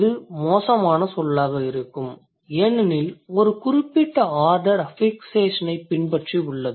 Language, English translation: Tamil, So, that is going to be a bad word because there is a particular order which follows the affixation